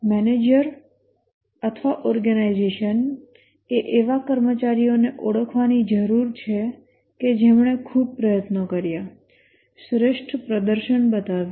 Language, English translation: Gujarati, The manager or the organization need to recognize employees who put lot of effort, so superior performance